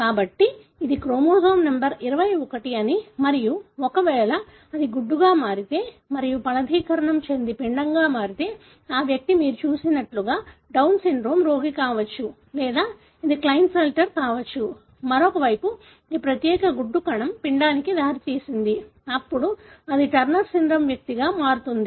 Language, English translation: Telugu, So, if it could so happen that this is chromosome number 21 and if it becomes an egg and that fertilizes and becomes an embryo, that individual will be Down syndrome patient as like you see or it could be Klinefelter or on the other hand, if this particular egg cell resulted in an embryo, then that can become a Turner syndrome individual